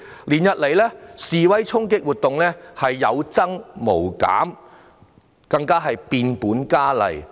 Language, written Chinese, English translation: Cantonese, 連日來示威衝擊活動不但有增無減，更變本加厲。, Over the past period demonstrations and clashes not only did not subdue they have even intensified